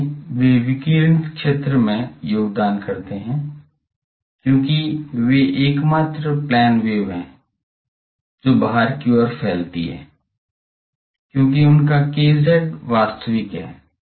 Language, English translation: Hindi, So, they are the contribute to the radiated field, since these are the only plane waves propagating outwards as their k z is real ok